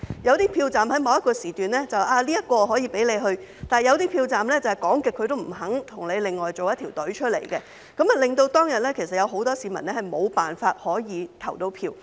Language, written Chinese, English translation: Cantonese, 有些投票站在某個時段可以這樣做，但有些投票站卻怎樣也不肯安排另一條隊伍，令到當天很多市民無法投票。, Some polling stations could work in this way at certain times whereas some others refused to arrange another queue no matter what thus causing many people to be unable to vote on that day